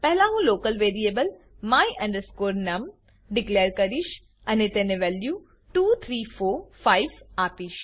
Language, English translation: Gujarati, First, I declare a local variable my num and assign the value 2345 to it